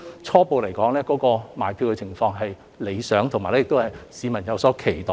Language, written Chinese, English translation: Cantonese, 初步來說，售票情況理想，市民亦有所期待。, Initially the ticket sales are satisfactory and members of the public are looking forward to it